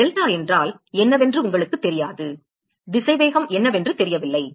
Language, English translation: Tamil, You do not know what delta is a still do not know what is the velocity profile